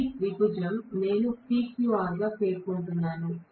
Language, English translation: Telugu, This triangle I am mentioning as PQR